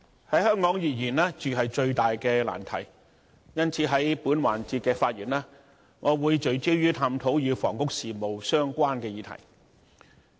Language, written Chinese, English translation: Cantonese, 在香港而言，住是最大的難題，因此，在本環節的發言，我會聚焦探討與房屋事務相關的議題。, In Hong Kong the biggest problem is housing . For this reason in this session I will focus my speech on exploring issues related to housing